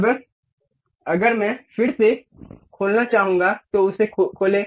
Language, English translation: Hindi, Now, if I would like to reopen that, open that